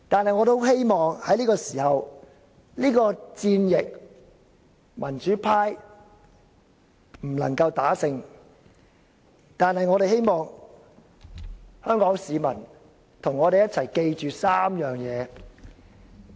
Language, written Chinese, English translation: Cantonese, 民主派無法在是次戰役中獲勝，但我們希望香港市民能與我們一起記住3點。, The pro - democracy camp will have no chance to win this battle but we hope that the people of Hong Kong would stay with us and keep three points in their mind